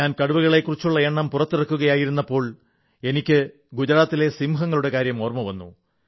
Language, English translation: Malayalam, At the time I was releasing the data on tigers, I also remembered the Asiatic lion of the Gir in Gujarat